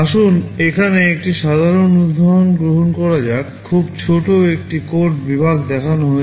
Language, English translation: Bengali, Let us take a simple example here; a very small code segment is shown